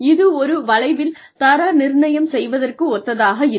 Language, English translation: Tamil, And, it is similar to grading on a curve